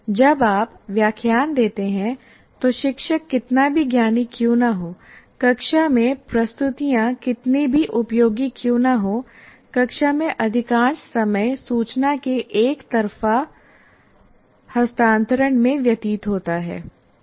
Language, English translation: Hindi, Because when you lecture, however knowledgeable the teacher is, however much the way of presenting in the classroom is good or bad, most of the time in the classroom is spent in transfer of information one way